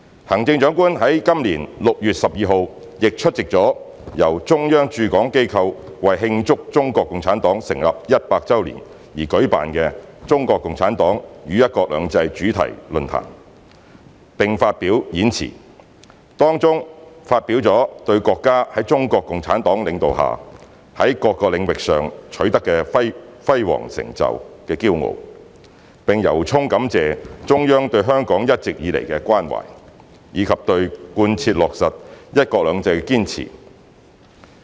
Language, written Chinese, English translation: Cantonese, 行政長官在本年6月12日亦出席了由中央駐港機構為慶祝中國共產黨成立一百周年而舉辦的"中國共產黨與'一國兩制'主題論壇"，並發表演辭，當中表達了對國家在中國共產黨領導下，在各個領域上取得的輝煌成就的驕傲，並由衷感謝中央對香港一直以來的關懷，以及對貫徹落實"一國兩制"的堅持。, On 12 June this year the Chief Executive attended and delivered a speech at the thematic forum on CPC and One Country Two Systems organized by the Central Governments institutions in HKSAR to mark the 100th anniversary of the founding of CPC . She expressed her pride on the countrys remarkable achievements on various fronts under the leadership of CPC and was immensely grateful to the Central Government for her care of Hong Kong all along and her steadfast commitment to the thorough implementation of the one country two systems principle